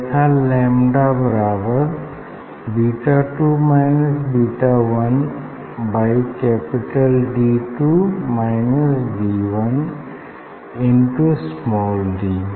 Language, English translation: Hindi, then you will get lambda equal to beta 2 minus beta 1 divided by D 2 minus D 1 into d